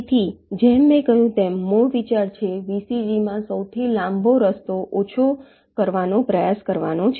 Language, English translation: Gujarati, so, as i have said, the basic idea is to try and minimize the longest path in the vcg